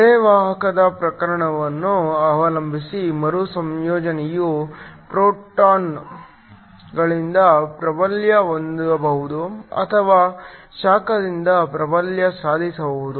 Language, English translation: Kannada, Depending upon the type of semiconductor the recombination can either be dominated by photons or it can be dominated by heat